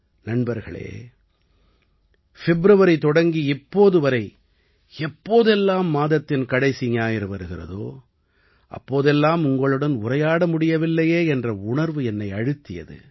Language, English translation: Tamil, Friends, since February until now, whenever the last Sunday of the month would come, I would miss this dialogue with you a lot